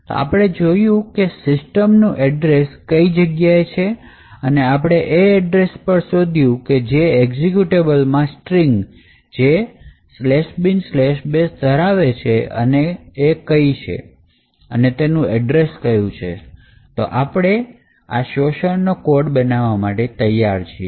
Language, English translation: Gujarati, Now that we have identified where the address of system is present and also, we have found a string in the executable which contains slash bin slash bash and we found the address of that particular string, we are ready to build our exploit